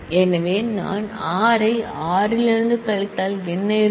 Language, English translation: Tamil, So, if I subtract r minus s from r then what will remain